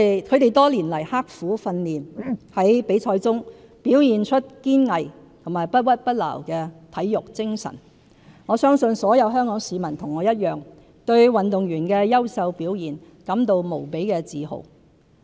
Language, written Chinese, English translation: Cantonese, 他們多年來刻苦訓練，在比賽中表現出堅毅和不屈不撓的體育精神，我相信所有香港市民與我一樣，對運動員的優秀表現感到無比自豪。, Having gone through years of tough training our athletes demonstrated perseverance and remarkable sportsmanship in the games . I believe like me everyone in Hong Kong takes pride in their remarkable performance